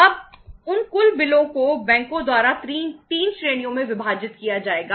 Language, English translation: Hindi, Now, those total bills will be divided into 3 categories by the banks